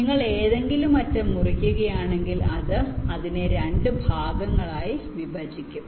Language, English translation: Malayalam, if you cut any edge, it will divide that it up into two parts